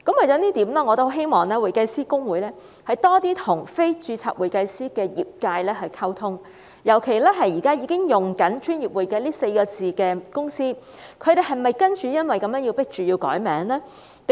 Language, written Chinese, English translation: Cantonese, 就此，我希望公會多些與非註冊會計師的業界溝通，尤其現時已經使用"專業會計"這4個字的公司，他們是否因而被迫要更改名稱呢？, In this connection I hope that HKICPA will enhance communication with practitioners who are non - HKICPA members . In particular I am concerned whether companies with names containing the words professional accounting will be compelled to change their names